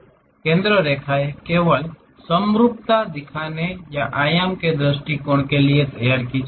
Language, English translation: Hindi, Center lines are drawn only for showing symmetry or for dimensioning point of view